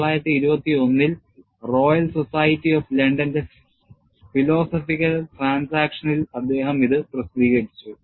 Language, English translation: Malayalam, He published in 1921, in the Philosophical Transactions of the Royal Society of London